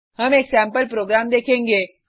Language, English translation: Hindi, We will look at sample program